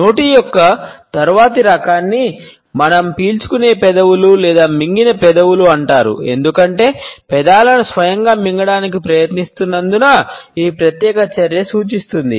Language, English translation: Telugu, The next type of position of mouth which we shall take up is known as sucked lips or swallowed lips, because this particular action suggests as one is trying to swallow the lips themselves